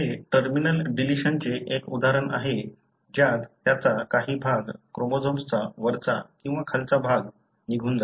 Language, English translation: Marathi, That is an example of terminal deletion wherein part of it, the upper or lower part of the chromosome being lost